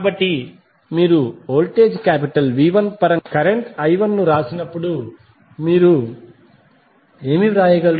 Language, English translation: Telugu, So, when you write current i 1 in terms of the voltages V 1 what you can write